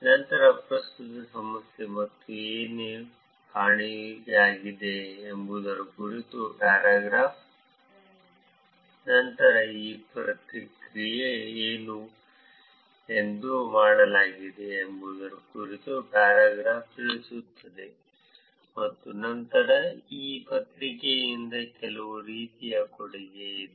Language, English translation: Kannada, Then the paragraph about the current problem and what is missing, then the paragraph about what is, what was done in this paper and then some kind of a contribution from this paper